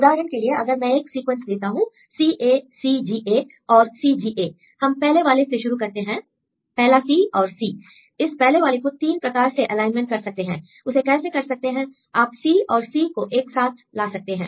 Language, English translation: Hindi, For example, if I give the sequence CACGA and CGA, first we start with the first one; take the first one C and C, there are 3 different ways you can align the first one; what are 3 different ways; you can make C and C together